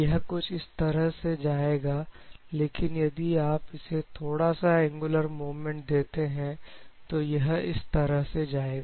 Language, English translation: Hindi, It will goes like this, but still if you give an angular movement to it will take the path like this and so on